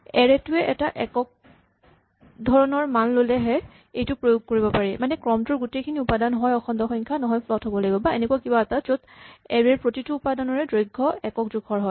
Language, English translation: Assamese, And, in particular this would apply when an array has only a single type of value, so all the elements in the sequence are either integers or floats or something where the length of each element of the array is of a uniform size